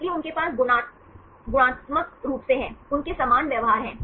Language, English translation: Hindi, So, they have qualitatively, they have similar behavior